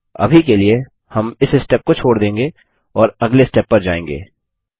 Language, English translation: Hindi, We will skip this step for now, and go to the Next step